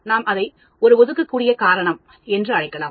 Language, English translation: Tamil, Then we can call it an assignable reason